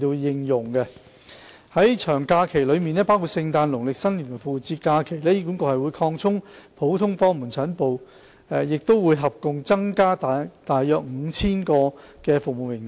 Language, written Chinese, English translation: Cantonese, 在長假期內包括聖誕、農曆新年及復活節期間，醫管局會擴充普通科門診診所服務，合共增加約 5,000 個的服務名額。, During long holidays including Christmas Chinese New Year and Easter holidays the service quotas of general outpatient clinics GOPCs will be increased by a total of around 5 000